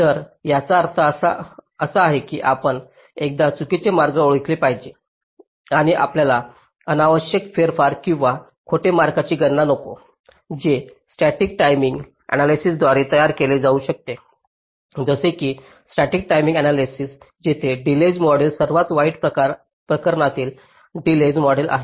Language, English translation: Marathi, so the implication is that you one false paths to be identified and you do not want unnecessary manipulation or computation of false paths that are produced by static delay analysis, like static timing analyzer, where the delay model is the worst case delay model